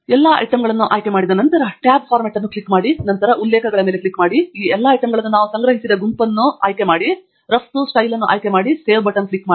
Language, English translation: Kannada, After we select all the items, click on the tab Format, and then, click on the References, choose the group that we have collected all these items under, choose the Export Style, and then, click on the Save button